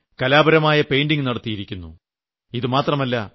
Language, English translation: Malayalam, These were artistic painting done on the station